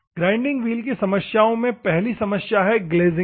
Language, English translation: Hindi, Grinding wheel problems first one is the glazing